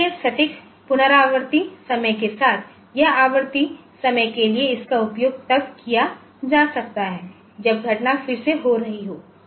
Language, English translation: Hindi, So, with precise recurring timing, this is this can be used for recurring timing say when the event is occurring again